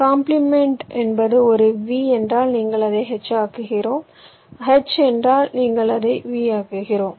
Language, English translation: Tamil, complement means if it is a v, you make it h, if it h, you make it v